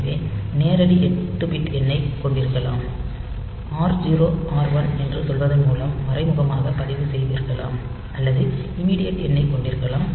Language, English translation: Tamil, So, you can have a direct 8 bit number, you can have registered indirect via say R 0, R 1 or you can have